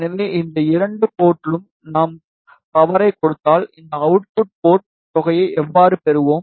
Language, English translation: Tamil, So, if we give power at these two port, how we will get the sum at this output port